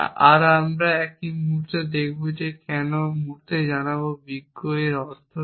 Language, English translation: Bengali, And we will see a moment why or I will tell you in the moment wise, but what the implication of this